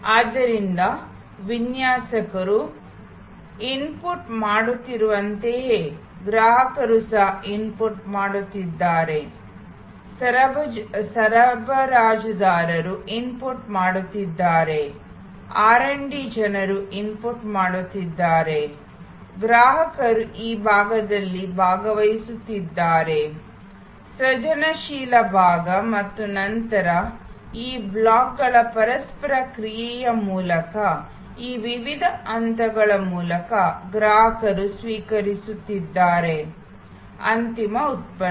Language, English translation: Kannada, So, customer is also inputting just as designers are inputting, suppliers are inputting, R& D people are inputting, customers are participating on this side, the creative side and then, through this various steps through the interaction of these blocks, customer is receiving the end product